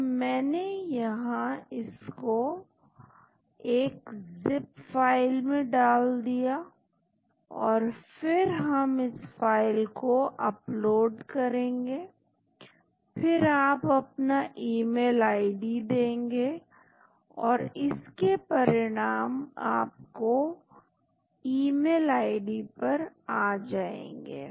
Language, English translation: Hindi, So, I have put it into single zip file and then we upload the file , then you give your email id and the results come into your email id